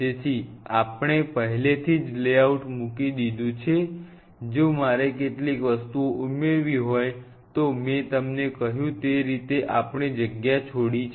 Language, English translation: Gujarati, So, we have already put the layout now if I have to be an added up of certain things, why I told you leave a lot of space